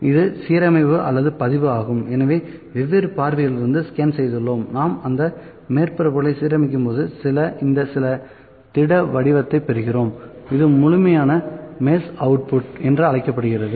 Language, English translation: Tamil, So, we have scan from different views, when we are aligning those surfaces to get this specific shape the solid shape this is known as complete mesh output